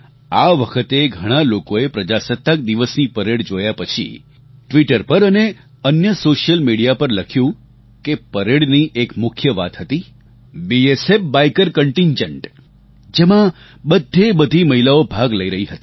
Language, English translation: Gujarati, This time, after watching the Republic Day Parade, many people wrote on Twitter and other social media that a major highlight of the parade was the BSF biker contingent comprising women participants